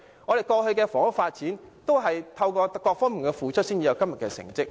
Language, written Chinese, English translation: Cantonese, 過去的房屋發展，亦有賴各方付出才有今天的成績。, The previous housing developments would not be so successful without the concerted efforts of various sectors